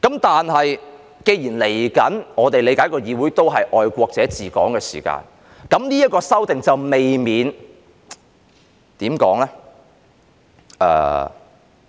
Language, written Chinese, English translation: Cantonese, 但是，既然我們理解未來的議會是愛國者治港時，那麼這項修訂便未免......, However as we understand since there will be patriots administering Hong Kong in the future Council then this amendment may be how to describe it?